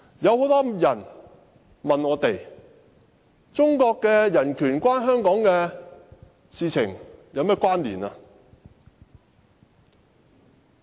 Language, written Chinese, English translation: Cantonese, 很多人問我，中國人權與香港有何關係？, I am asked by many people in what ways human rights in China are related to Hong Kong